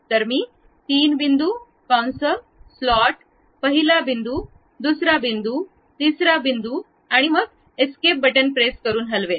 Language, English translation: Marathi, So, I will pick three point, arc slot, first point, second point, third point, and I just move press escape